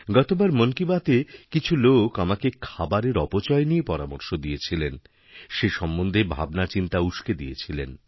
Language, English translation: Bengali, In the previous 'Mann Ki Baat', some people had suggested to me that food was being wasted; not only had I expressed my concern but mentioned it too